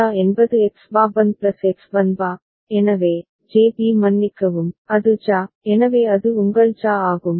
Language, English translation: Tamil, JA is X bar Bn plus X Bn bar, so, JB sorry, that is JA, so that is your JA